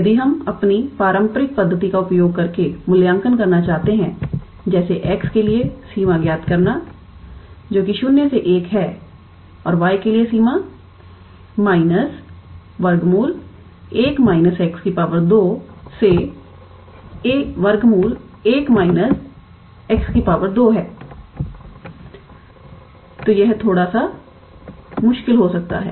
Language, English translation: Hindi, If we want to evaluate using our traditional method like finding the limit for x which is 0 to 1 and the limit for y is minus of square root of 1 minus x square to square root of 1 minus x square, then it might become a little bit difficult